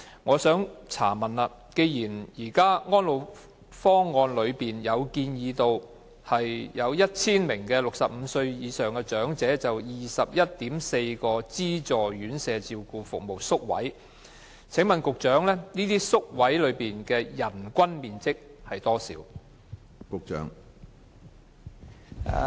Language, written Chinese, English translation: Cantonese, 我想問局長，既然《安老方案》建議每1000名65歲或以上的長者有 21.4 個資助院舍照顧服務宿位，這些宿位的人均面積要求為何？, According to the recommendation in ESPP there should be 21.4 subsidized residential care places per 1 000 elderly persons aged 65 or above . May I ask the Secretary about the per capita space requirement for these places?